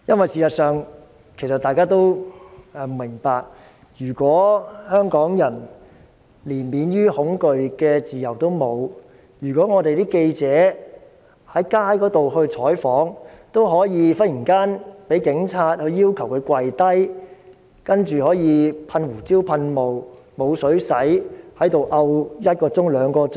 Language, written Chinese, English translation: Cantonese, 事實上，如果香港人連免於恐懼的自由都沒有，如果記者在街上採訪，也可以忽然被警察要求下跪，然後被噴胡椒噴霧，沒有水清洗，情況持續一兩小時。, In fact Hong Kong people do not even enjoy freedom from fear . Reporters covering news on the streets could be suddenly demanded by the Police to kneel down pepper - sprayed and got no water for washing for one to two hours . Such things keep happening but no one is subject to any sanctions